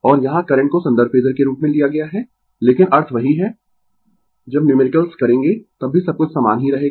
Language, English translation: Hindi, And here current is taken as a reference phasor, but meaning is same when you will do the numerical also everything will remain same, there will be no change, right